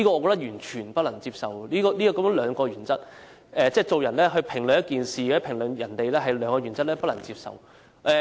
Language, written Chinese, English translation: Cantonese, 我完全不能接受雙重標準。即是說，評論同一事或人，卻用上兩套原則，我便不能接受。, I absolutely cannot accept double standard which means applying two different yardsticks on the same thing or person